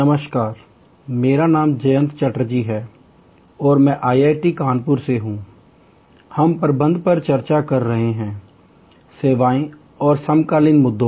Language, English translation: Hindi, Hello, I am Jayanta Chatterjee from IIT Kanpur and we are discussing Managing Services and the Contemporary Issues